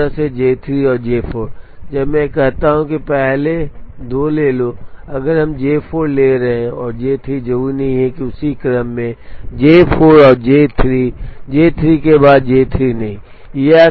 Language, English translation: Hindi, It can be permuted in two ways J 3 and J 4, when I say take the first two if we are taking J 4 and J 3 not necessarily in that order, J 4 and J 3 not J 3 following J 4